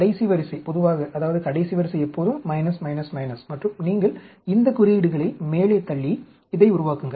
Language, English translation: Tamil, The last row generally, I mean, last row is always minus, minus, minus, and you push these signs up, and build up this